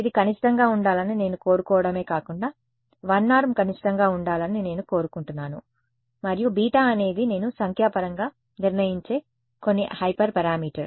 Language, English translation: Telugu, Not only do I want this to be minimum, but I also wants the 1 norm to be a minimum and beta is some hyper parameter which I will determine numerically